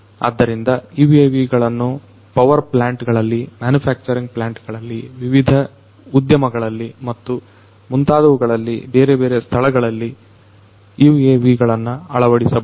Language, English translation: Kannada, So, UAVs could be deployed in various locations in the power plants, in the manufacturing plants, in the different industries and so on